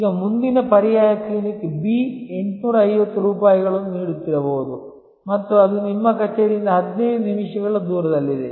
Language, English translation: Kannada, Now, the next alternative Clinic B might be offering 850 rupees and it is just located 15 minutes away from your office